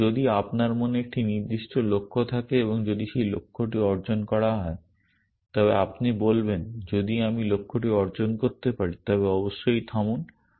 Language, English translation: Bengali, So, maybe if you have a certain goal in mind and if that goal is achieve you will say if this goal I can see the goal being achieved then halt essentially